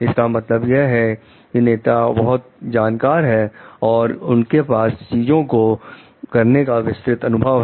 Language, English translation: Hindi, It means so happen like the leader is knowledgeable enough and has wide experience about doing things